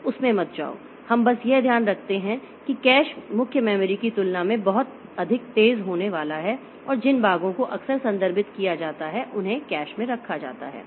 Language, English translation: Hindi, We just under keep it in our mind that cache is going to be much faster than main memory and the portions which are frequently referred to may be kept in the cache